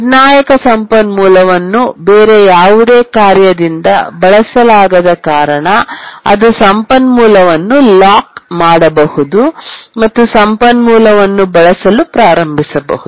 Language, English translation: Kannada, And since the critical resource was not being used by any other task, it could lock the resource and started using the resource